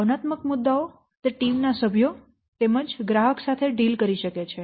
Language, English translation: Gujarati, The emotional issues, it can concern both the team members as well as the customer or the clients